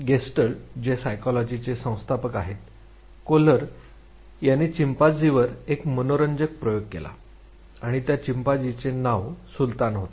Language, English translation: Marathi, The founder of Gestalt Psychology, Kohler; he did an interesting experiment on chimpanzee and the chimpanzee was named Sultan